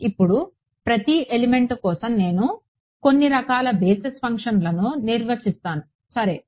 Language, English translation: Telugu, Now, for each element I will define some kind of basis functions ok